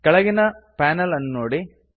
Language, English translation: Kannada, Look at the bottom panel